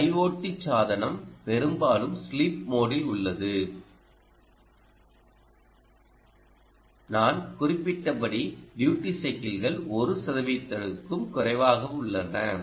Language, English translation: Tamil, the i o t device often is in sleep mode and, as i mentioned, the duty cycles are less than one percent